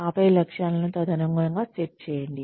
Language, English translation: Telugu, And then, set the objectives accordingly